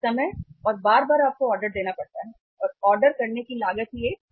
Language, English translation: Hindi, Time and again you have to place the orders and ordering cost itself is a high cost